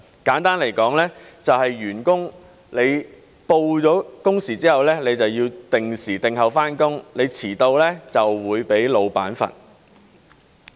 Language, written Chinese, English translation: Cantonese, 簡單來說，即是員工上報工時之後便要定時定候上班，遲到便會被老闆懲罰。, In short this means that a worker must show up for work as scheduled after registering his available time slots . In case of lateness he will be penalized by his employer